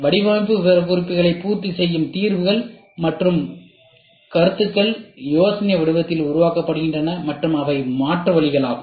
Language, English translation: Tamil, The solutions and concepts that meet the design specifications are generated in the form of idea and are alternatives